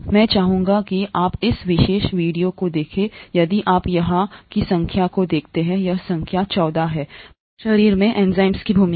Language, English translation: Hindi, I would like you to watch this particular video if you look at the number here, it is number 14, role of enzymes in the human body